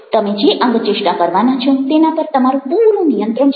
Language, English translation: Gujarati, you have full control over the gestures that you are about to make